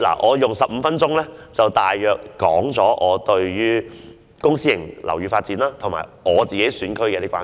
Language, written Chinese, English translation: Cantonese, 我花了15分鐘，大約表達了我對公私營樓宇發展及我所屬選區的關注。, I have just spent 15 minutes to briefly express my concern about the development of public and private housing as well as some issues concerning the district from which I was elected